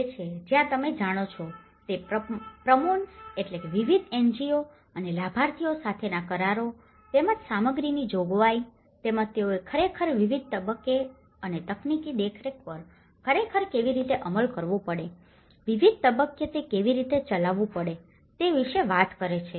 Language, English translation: Gujarati, And this is where they talk about the promotions you know, agreements with various NGOs and beneficiaries and as well as the provision of materials as well as how they have to really implement at different stages and technical supervision, how it has to conduct at different stages